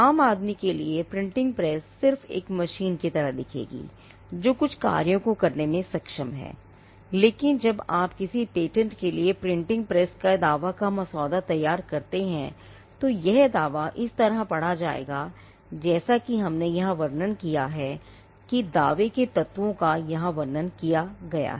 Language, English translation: Hindi, Now the printing press would for a layperson, it will just look like a machine; which is capable of performing certain functions, but when you draft a patent a claim for a printing press, and this is the printing press that we had quoted the claim will read as we have described here